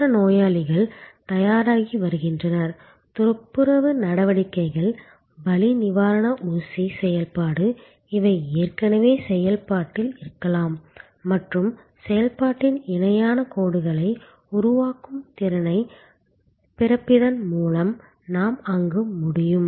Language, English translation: Tamil, Other patients are getting ready, they are cleaning activities, they are pain killer injection activity, these are may be already in the process and we can there by splitting the capacity creating parallel lines of activity